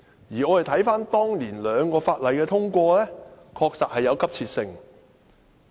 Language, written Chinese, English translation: Cantonese, 而我們看看當年兩項法例的通過，確實有急切性。, Let us look at the two items of legislation thereby passed back then which were certainly urgent